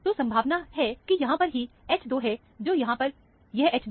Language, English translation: Hindi, So, most likely, it is the H 2 here, which is this H 2 here